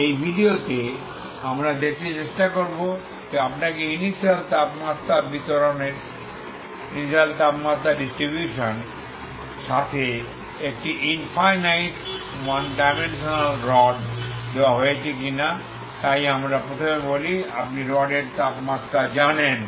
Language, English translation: Bengali, In this video we will try to see if you are given a rod infinite rod 1 dimensional rod, okay 1 dimensional with initial temperature distribution so let us say initially you know the temperature of the rod throughout